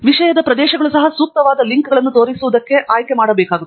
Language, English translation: Kannada, the subject areas also have to be chosen up for appropriate links to show up